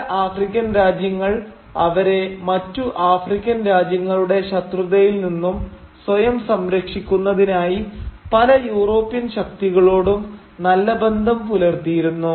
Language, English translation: Malayalam, And some African kingdoms did establish alliances with various competing European forces and they did that primarily to protect themselves, safeguard themselves against other hostile African kingdoms